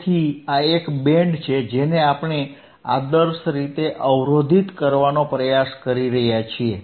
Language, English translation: Gujarati, So, this is a band that we are trying to block actual iideally